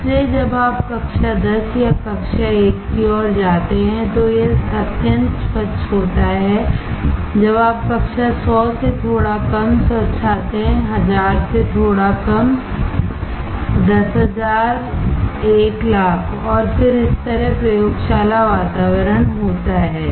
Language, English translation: Hindi, So, when you go towards the class 10 or class 1 this is extremely clean, when you come down class 100 little bit less clean, 1000 little bit less, 10000, 100000 and then there is laboratory environment like this